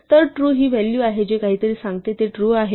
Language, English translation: Marathi, So, true is the value which tells something is true